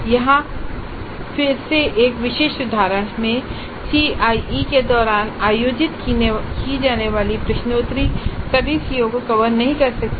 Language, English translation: Hindi, Here again in a specific instance the quizzes that are conducted during the CAE may not cover all the COs